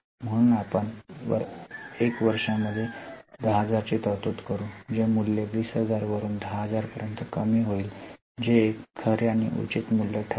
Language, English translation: Marathi, So, value will reduce from 20,000 to 10,000, which will be a true and fair value